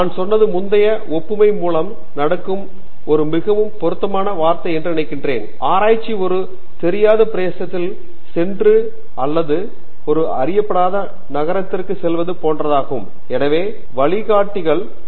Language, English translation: Tamil, And I think the guide is a very appropriate term going by the previous analogy we said; research is about going into an unknown territory or visiting an unknown city and you are visiting monuments remember you have guides telling you giving to the history about it